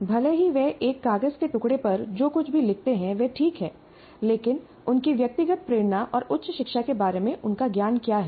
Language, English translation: Hindi, Though whatever they write on a piece of paper may be all right, but what is their personal motivation and their knowledge of higher education